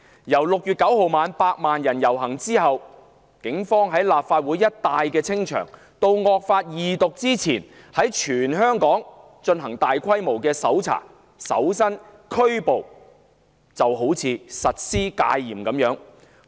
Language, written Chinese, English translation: Cantonese, 由6月9日晚百萬人遊行後警方在立法會大樓附近一帶清場，到"惡法"恢復二讀辯論前，警方在全港進行大規模搜查、搜身及拘捕，猶如實施戒嚴般。, After the dispersal action carried out by the Police in the night of 9 June following the march of 1 million people and just before the resumption of Second Reading debate of the draconian law the Police made searches frisking and arrests on a massive scale throughout the territory as if a curfew was in force